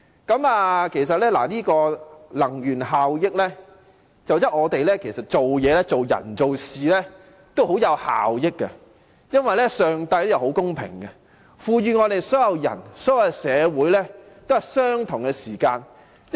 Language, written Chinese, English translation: Cantonese, 關於能源效益，我想說的是，其實做人和做事均講求效益，因為上帝是很公平的，祂賦予所有人和社會相同的時間。, This is indeed most pathetic . With regard to energy efficiency what I wish to say is actually we place emphasis on efficiency in how we conduct ourselves and how we go about things because God is fair for He gives all the people and society the same measure of time